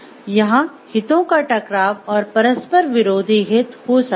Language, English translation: Hindi, So, there could be conflict of interest and conflicting interest